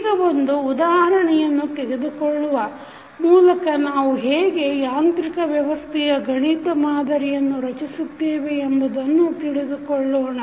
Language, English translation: Kannada, Now, let us take one example so that we can understand how we will create the mathematical model of mechanical system